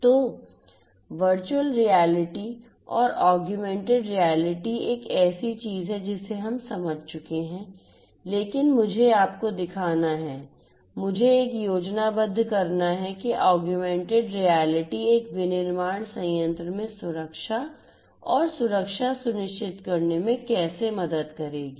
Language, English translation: Hindi, So, virtual reality and augmented reality is something that we have understood, but let me show you, let me draw a schematic of how augmented reality would help in ensuring safety and security in a manufacturing plant